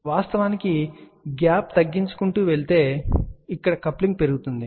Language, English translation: Telugu, So, of course, we can keep on reducing the gap which increases the coupling